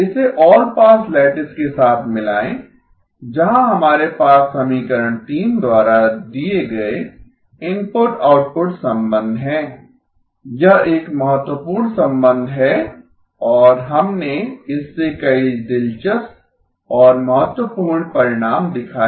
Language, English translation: Hindi, Combine it with the all pass lattice, where we have the input output relationship given by equation 3, that is an important relationship and we showed several interesting and important results from this